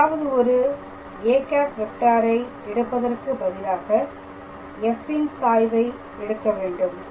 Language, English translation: Tamil, So, instead of taking any vector a if you take gradient of f itself alright